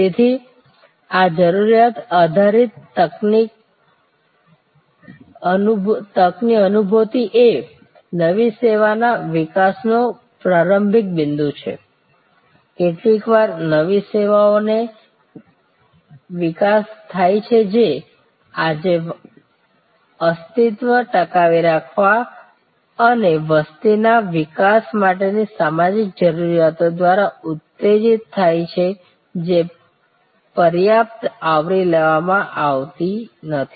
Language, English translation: Gujarati, So, sensing this need based opportunity is a starting point of new service development sometimes new services are these develop today stimulated by social needs for survival and growth of population social needs that are not adequate covered